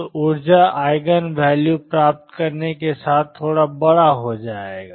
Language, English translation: Hindi, So, the energy eigen value out with getting would become slightly larger